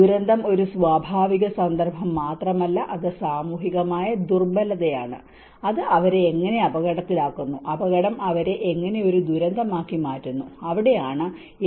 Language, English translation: Malayalam, Disaster is not just a natural context, but it is the social vulnerability, how it puts them into the risk, how hazard makes them into a disaster and that is where the H*V=R